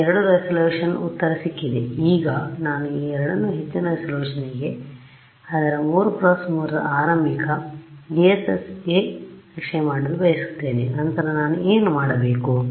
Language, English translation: Kannada, I have got two resolution answer, now I want to map these two as an initial guess for a higher resolution its a 3 cross 3, then what do I do I have to